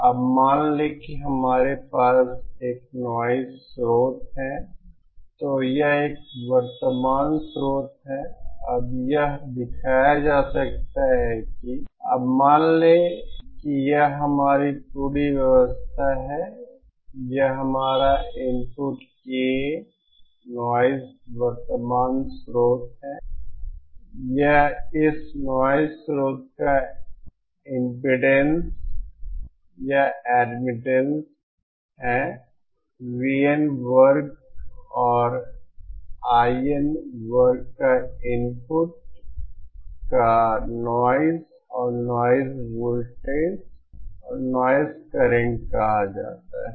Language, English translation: Hindi, Now suppose we have a noise source here it is a current source now it can be shown thatÉ Now suppose this is our entire arrangement this is our input ka noise current source, this is the impede or admittance of this noise source this at the V N square and I N square of the input referred noise and noise voltage and noise current